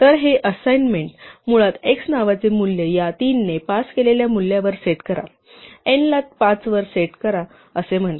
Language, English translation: Marathi, So, this assignment basically says set the value of the name x to the value passed by this namely 3, set n to 5